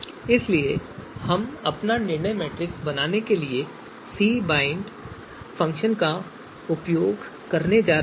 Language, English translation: Hindi, Now we are going to use this cbind function to create our decision matrix